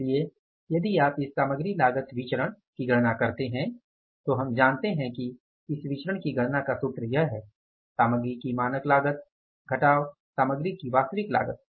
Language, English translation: Hindi, So, if you calculate this material cost variance we know that the formula for calculating this variance is what